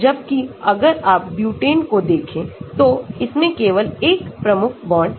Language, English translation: Hindi, Whereas, if you look at butane has only one key bond